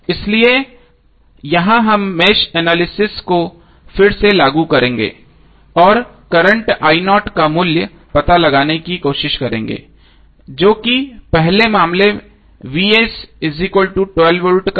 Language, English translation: Hindi, So here we will apply match analysis again and try to find out the current value I0 in first case that is when Vs is equal to 12 volt